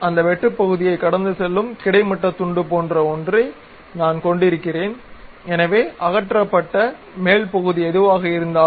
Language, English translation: Tamil, I would like to have that section something like a horizontal slice passing through that object so, whatever the top portion that has been removed